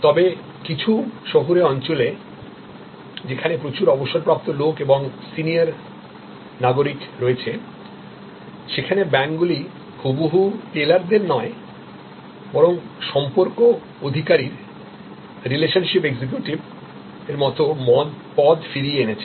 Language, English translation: Bengali, But, in some urban areas, where there are colonies having lot of retired people and for seiner citizens, now the banks have brought back not exactly tellers, but more like relationship executives